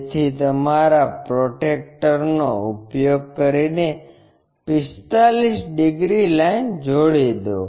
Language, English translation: Gujarati, So, use your protractor 45 degrees line join this